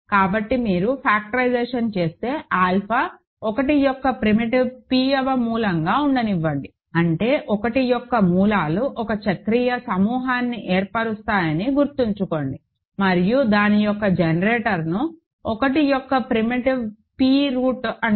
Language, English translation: Telugu, So, if you factor; so, let alpha be a primitive p th root of unity; that means, remember roots of unity form a cyclic group and a generator of that is called primitive p th root of unity